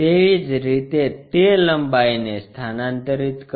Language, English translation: Gujarati, Similarly, transfer that length